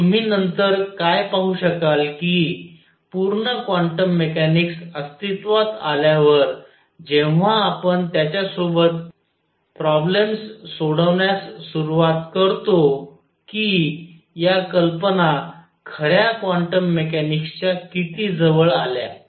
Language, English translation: Marathi, And what you will see later when the full quantum mechanics comes into being when we start solving problems with that that how close to true quantum mechanics these ideas came